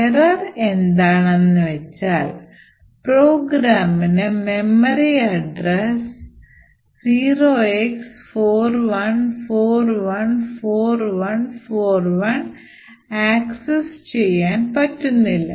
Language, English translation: Malayalam, The error is it cannot access memory at address 0X41414141